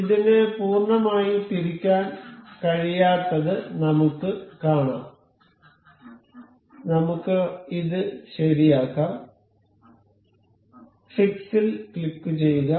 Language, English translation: Malayalam, We can see it has a it cannot rotate fully, let us just fix this item ok; click on fix